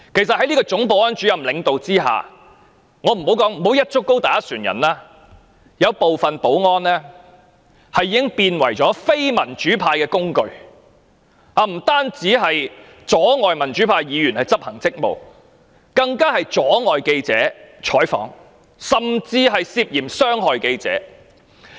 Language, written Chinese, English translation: Cantonese, 在總保安主任的領導下——我不會"一竹篙打一船人"——有部分保安員已淪為非民主派的工具，不但阻礙民主派議員執行職務，更妨礙記者採訪，甚至涉嫌傷害記者。, Under CSOs leadership―I will not make a sweeping statement―some security guards have degenerated into a tool of the non - democratic camp . Not only have they hindered democratic Members in discharging their duties but they have also obstructed journalists in doing news reporting . They are even suspected of inflicting injuries on journalists